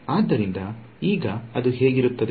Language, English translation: Kannada, So, what will it look like now